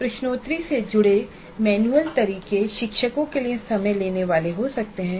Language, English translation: Hindi, The manual methods associated with quizzes can be time consuming to teachers